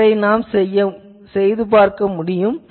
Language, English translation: Tamil, They can be done